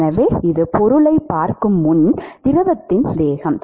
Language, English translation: Tamil, So, this is the velocity of the fluid before it sees the object